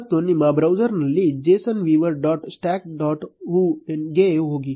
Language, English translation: Kannada, And in your browser go to json viewer dot stack dot hu